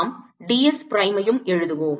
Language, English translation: Tamil, let us also write d s prime